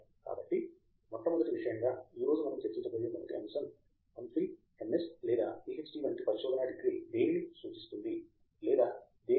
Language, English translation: Telugu, So the first thing, first topic that we will discuss today is, what does a research degree such as MPhil, MS or PhD imply or represent